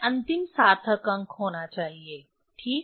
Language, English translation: Hindi, It has to be so of the last significant figure ok